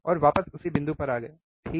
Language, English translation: Hindi, And coming back to the same point, right